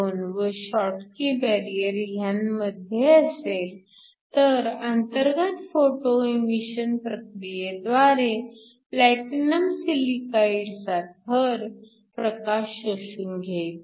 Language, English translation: Marathi, 12 and the schottky barrier, then light will be absorbed by the platinum silicide layer in the internal photoemission process